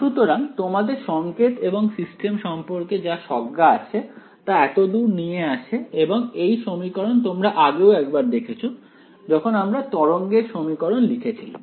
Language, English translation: Bengali, So, all your intuition of signals and systems carries forward over here and this equation you have already been once before when we wrote down for the wave equation right